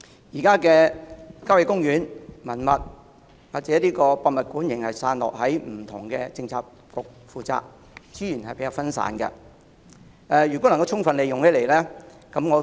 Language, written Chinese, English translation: Cantonese, 現時，郊野公園、文物及博物館仍然散落由不同的政策局負責，資源比較分散，如能充分利用，我認為情況會更好。, Currently the responsibilities for country parks heritage and museums are scattered among various Policy Bureaux hence the resources are rather fragmented . I believe the situation will be better if resources can be fully utilized